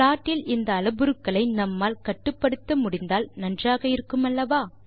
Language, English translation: Tamil, Wouldnt it be nice if we could control these parameters in the plot